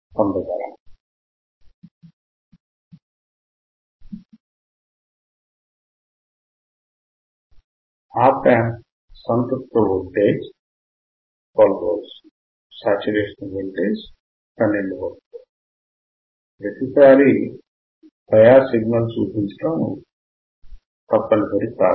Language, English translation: Telugu, The Op Amp saturation voltage is a + 12V; It is not mandatory to show every time bias signal